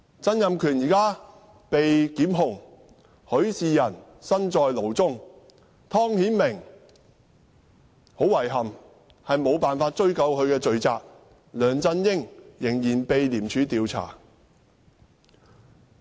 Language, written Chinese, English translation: Cantonese, 曾蔭權現時被檢控；許仕仁身在牢中；湯顯明，很遺憾，無法追究他的罪責；梁振英仍然被廉政公署調查。, Rafael HUI is now in prison . Timothy TONG regrettably is off the hook . And LEUNG Chun - ying is still under investigation by the Independent Commission Against Corruption ICAC